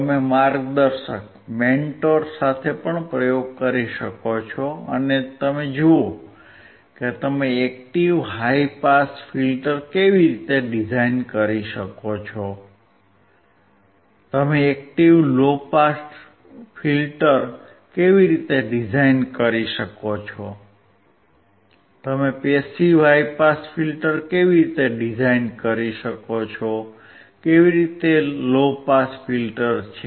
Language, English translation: Gujarati, You can perform the experiment along with a mentor you can perform the experiment with your friends, and see how you can design active high pass filter, how you can design an active low pass filter, how you can design a passive high pass filter, how can is an a passive low pass filter